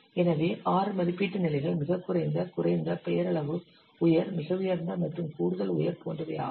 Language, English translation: Tamil, So these are the six rating levels like very low, low, nominal, high, very high and extra high